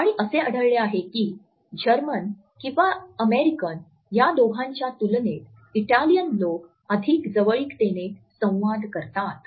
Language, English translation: Marathi, And which had found that Italians interact more closely in comparison to either Germans or American